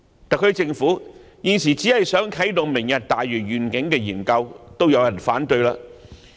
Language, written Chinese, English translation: Cantonese, 特區政府現時只想啟動"明日大嶼願景"研究也遭受反對。, At present the mere intention of the SAR Government to initiate studies on the Lantau Tomorrow Vision has even met with opposition